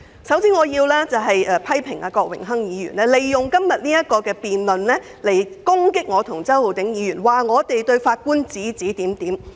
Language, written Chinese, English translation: Cantonese, 首先，我要批評郭榮鏗議員利用今天這項辯論，指責我和周浩鼎議員對法官指指點點。, First of all I want to criticize Mr Dennis KWOK for making use of todays debate to accuse me and Mr Holden CHOW of sitting in judgment on the judges